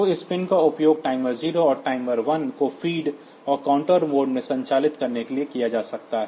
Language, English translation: Hindi, So, this pins can be used for feeding the timer 0, and timer 1 and operating them in the counter mode